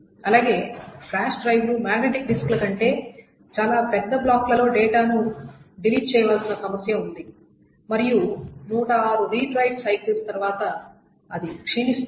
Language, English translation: Telugu, Also, flash drives have these problems that data needs to be written in much larger blocks than magnetic disks and it erodes after 10 to the over 6 re dried cycles